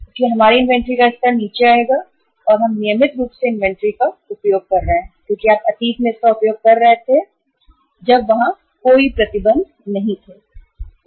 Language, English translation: Hindi, So our inventory level will go down and we are regularly utilizing the inventory as you were utilizing it in the past when no restrictions were there